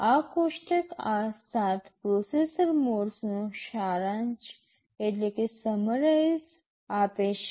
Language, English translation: Gujarati, This table summarizes these 7 processor modes